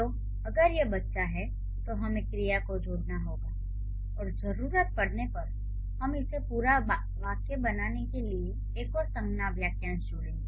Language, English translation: Hindi, So, if it is the child, then we have to add a verb and if needed, we'll add another noun phrase to make it a complex or, sorry, to make it a complete sentence